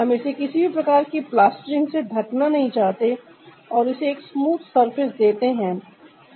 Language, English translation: Hindi, we do not want to cover it with any kind of plastering and give it a smooth surface